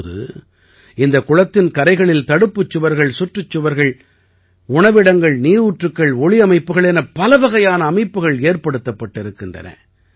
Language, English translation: Tamil, Now, many arrangements have been made on the banks of that lake like retaining wall, boundary wall, food court, fountains and lighting